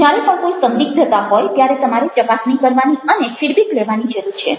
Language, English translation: Gujarati, where ever there is an ambiguity, you need to check and need to take a feedback